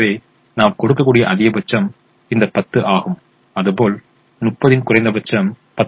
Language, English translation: Tamil, so the maximum that we can give is the minimum of this ten and thirty, which happens to be ten